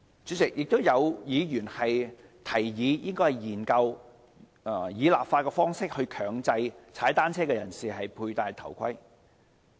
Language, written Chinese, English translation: Cantonese, 主席，有議員提議研究以立法方式強制騎單車人士佩戴頭盔。, President a Member has suggested studying the mandatory wearing of helmets by cyclists by way of legislation